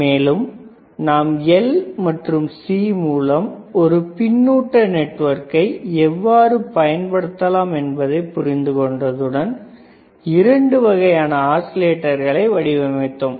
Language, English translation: Tamil, Then once we understood how the L and C couldan be used as a feedback network, we have designed 2 types of oscillators,